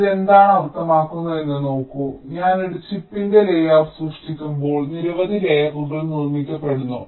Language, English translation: Malayalam, see what this means is that when i create the layout of a chip, there are several layers which are constructed first